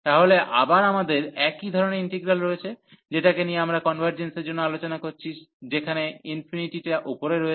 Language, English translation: Bengali, So, again we have a similar type integral, which we are discussing for the convergence where the infinity appears above